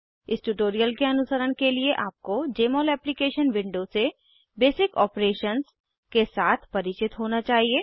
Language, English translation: Hindi, To follow this tutorial you should be familiar with basic operations from Jmol Application window